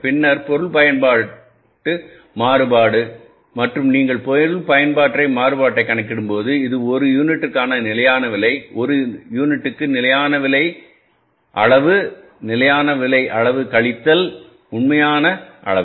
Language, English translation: Tamil, Then the material usage variance and when you calculate the material usage variance, this is the standard price per unit, standard price per unit into standard quantity, standard quantity minus actual quantity